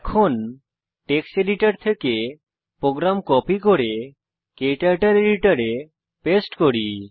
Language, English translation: Bengali, Let me copy the program from the text editor and paste it into KTurtle editor